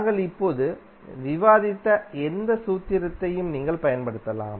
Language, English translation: Tamil, You can use any formula which we have discussed till now